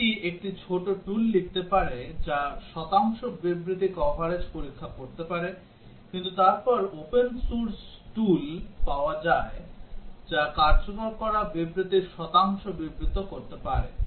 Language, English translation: Bengali, It is possible to write a small tool ourselves which can check the percentage statement coverage, but then there are open source tools available which can report the percentage of statement executed